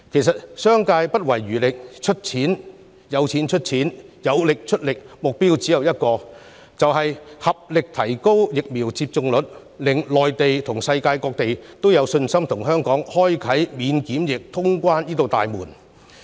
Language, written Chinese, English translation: Cantonese, 誠然，商界不遺餘力，有錢出錢，有力出力，目標只有一個，便是合力提升疫苗接種率，令內地和世界各地都有信心與香港開啟免檢疫通關這道大門。, It is true that the business sector has strived to contribute both money and effort to achieve the goal of increasing the vaccination rate together . This will boost the confidence of the Mainland and the rest of the world in opening the door of quarantine - free traveller clearance with Hong Kong